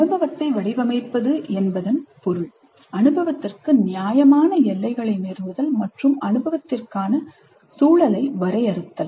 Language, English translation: Tamil, So framing the experience means establish reasonably crisp boundaries for the experience and define the context for the experience